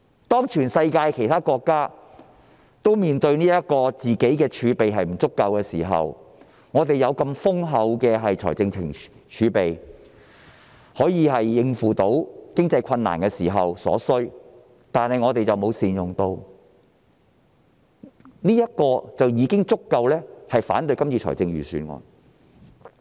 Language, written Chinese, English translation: Cantonese, 當全世界其他國家面對儲備不足的時候，我們有如此豐厚的儲備來應付經濟困難，但卻沒有善用，這已足夠令我們反對今次的預算案。, While other countries in the world are facing the problem of insufficient reserves we are sitting on such a huge reserve with which we should be able to tide over the economic difficulties yet we have failed to make good use of the resources we have . Just base on this point we can justify our objection to this Budget